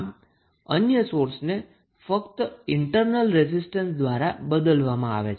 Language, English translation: Gujarati, So, other sources are replaced by only the internal resistance